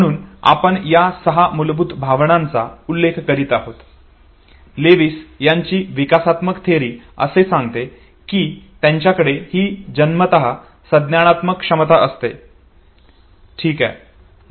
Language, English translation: Marathi, So six basic emotions that we were referring to, Lewis developmental theory says, that fine human infants they already have this inborn cognitive capacity okay